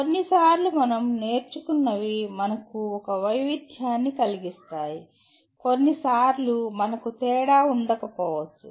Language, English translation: Telugu, And sometimes whatever we learned can make a difference to us, sometimes may not make a difference to us